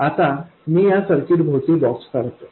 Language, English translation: Marathi, So now let me draw a box around this circuit